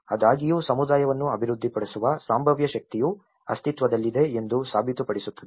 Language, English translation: Kannada, Although, which proves that the potential energy for developing the community does exist